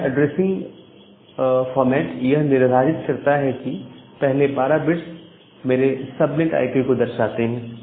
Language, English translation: Hindi, So, this determined that well the first 12 bits denotes my subnet IP